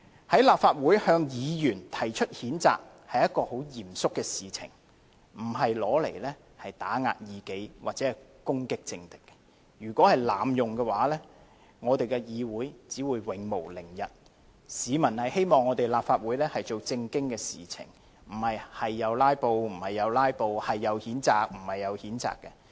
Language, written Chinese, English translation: Cantonese, 在立法會向議員提出譴責，是一件很嚴肅的事情，不是用以打壓異己或攻擊政敵，如果被濫用，立法會議會只會永無寧日，市民希望立法會做正經事情，而並非隨意"拉布"，隨意譴責。, Censuring a Member at this Council is a very solemn matter and is not intended to be a means for suppressing dissidents or attacking ones political opponents . Abuse of censure may render this Council forever peace - less . Members of the public expect this Council to deal with proper council business instead of allowing Members to filibuster or censure anyone at will